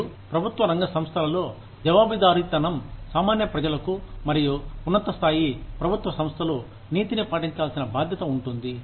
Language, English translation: Telugu, And, in public sector organizations, the accountability is to the general public, and higher level government organizations, are responsible for maintaining the ethics